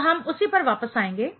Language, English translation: Hindi, So, we will come back to that